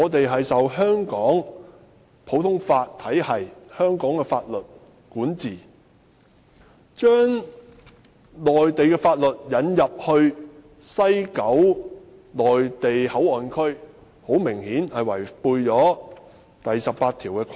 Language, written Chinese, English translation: Cantonese, 香港屬於普通法體系，受香港法律管治，所以將內地法律引進西九龍站內地口岸區，顯然違反《基本法》第十八條的規定。, As Hong Kong is under the common law system and governed by the laws of Hong Kong the introduction of Mainland laws into the West Kowloon Station Mainland Port Area MPA obviously contravenes Article 18 of the Basic Law